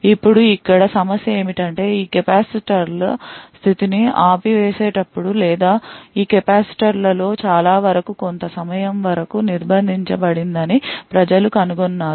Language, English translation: Telugu, Now the problem here is that people have found that even when the power is turned off the state of this capacitors or many of these capacitors is still detained for certain amount of time